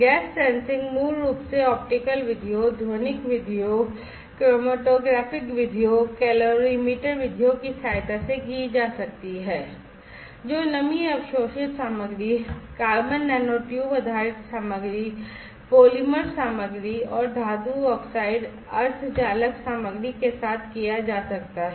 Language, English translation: Hindi, Gas sensing basically can be done with the help of optical methods, acoustic methods, chromatographic methods, calorimetric methods, can be done with moisture absorbing materials, carbon nanotube based materials, polymer materials, and metal oxide semiconductor materials